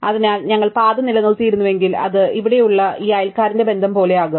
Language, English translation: Malayalam, So, had we maintained the path, it will be exactly like this neighbour relation here